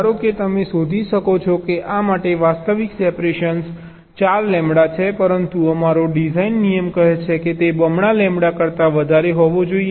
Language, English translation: Gujarati, suppose you may find that for this ah, this one, the actual separation is four lambda, but our design rule says that it should be greater than equal to twice lambda